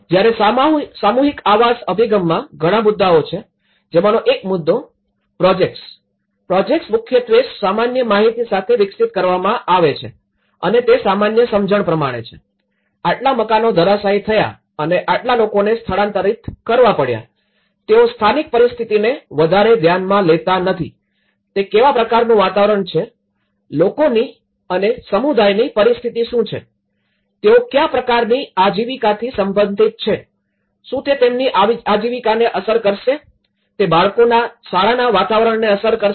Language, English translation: Gujarati, Whereas, in mass housing approach, there are many issues; one is these projects are mainly developed with a general data and because they only talk about yes, this many houses have been collapse and this many some households has to be relocated, they don’t give much regard to the local situation, what kind of environment it is, what kind of the you know the situation of the community, what kind of livelihood they are related to, is it going to affect something of their livelihood, it is going to affect the children's school environment